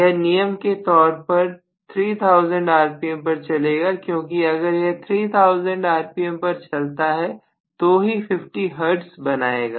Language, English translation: Hindi, It will run as a rule at 3000 rpm because only if it runs at 3000 rpm it will create 50 hertz